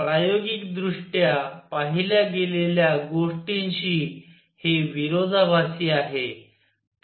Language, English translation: Marathi, This is contradiction to what was observed experimentally